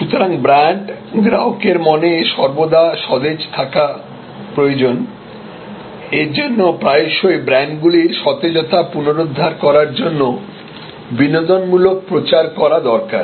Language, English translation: Bengali, So, brand therefore, needs to be always fresh in the customer's mind; that is why you often have recreational campaigns to recreate the brands freshness